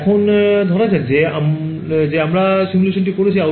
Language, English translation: Bengali, So, now, let us imagine we have done the simulation